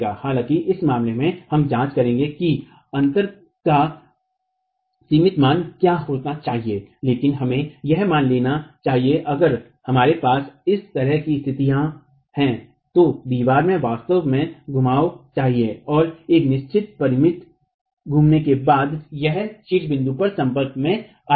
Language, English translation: Hindi, However, in this case, we will examine what that limiting value of the gap must be but let's assume if we have this sort of situation the wall must actually rotate and after rotating a certain finite rotation it will come into contact at the top point